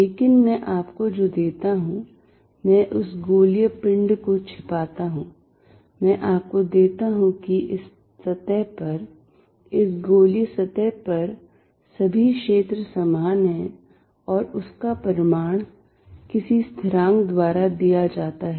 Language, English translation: Hindi, But, what I give you is I hide that spherical body, I give you that on this surface the field is all the same on this spherical surface and it is magnitude is given by some constant